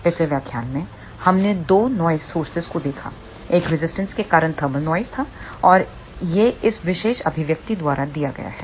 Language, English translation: Hindi, In the last lecture we looked at two noise sources one was thermal noise due to resistor and that is given by this particular expression